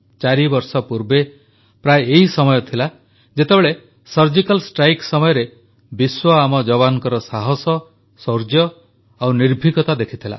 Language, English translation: Odia, Four years ago, around this time, the world witnessed the courage, bravery and valiance of our soldiers during the Surgical Strike